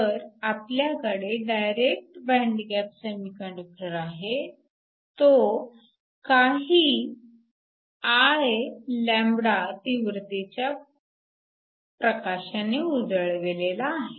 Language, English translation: Marathi, So, we have a direct band gap semiconductor, it is illuminated with light of intensity